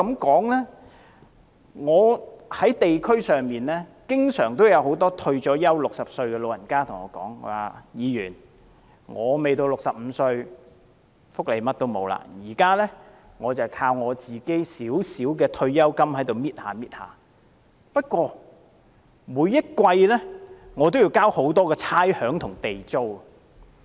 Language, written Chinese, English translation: Cantonese, 在我所屬的地區，經常有一些已退休並年屆60歲的長者對我說："議員，我未到65歲，甚麼福利也沒有，現在我只靠自己微薄的退休金逐少逐少地使用，不過每季我也要繳交很多差餉和地租。, In my geographical constituency there are often elderly retirees aged over 60 who would say to me Member I am not 65 yet . I do not receive any welfare benefits . Now I only live off my tiny pension using it bit by bit